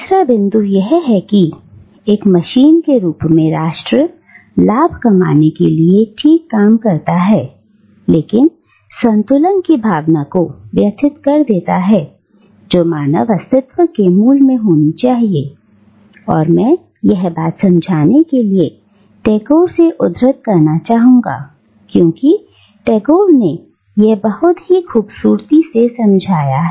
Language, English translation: Hindi, Third point is that, nation as a machine, fine tuned for profit making, disturbs the sense of balance which should be at the core of human existence and this, I would like to quote from Tagore to explain this point because Tagore does it really beautifully